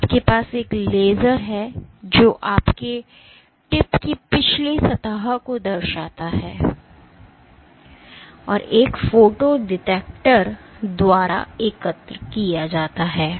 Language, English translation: Hindi, So, you have a laser which reflects of the back surface of your tip and is collected by a photo detector